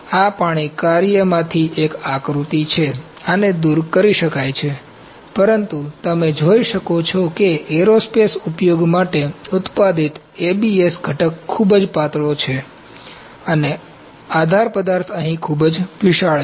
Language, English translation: Gujarati, This is a figure from water works, this can be removed, but you can see the part ABS component that is manufactured for the aerospace applications is too thin and the support material is too bulky here